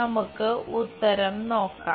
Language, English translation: Malayalam, Let us look at the solution